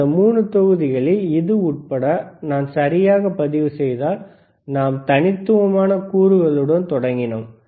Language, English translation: Tamil, In the in the last 3 modules, if I if I correctly record including this one, is we have started with the discrete components